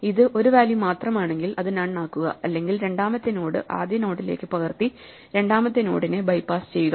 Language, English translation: Malayalam, If it is only 1 value, make it none; if not, bypass the second node by copying the second node to the first node